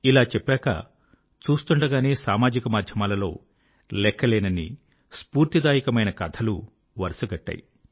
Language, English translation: Telugu, And within no time, there followed a slew of innumerable inspirational stories on social media